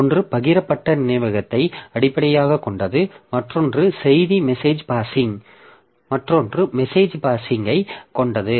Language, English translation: Tamil, One is based on the shared memory, other is based on message passing